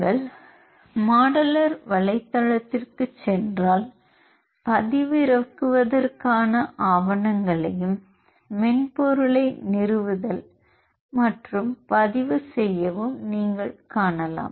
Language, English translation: Tamil, If you go to the modular website you can see the documentation for downloading and installing the software, and to do registration also